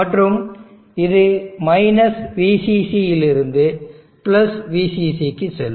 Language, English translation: Tamil, And this will go to from VCC to + VCC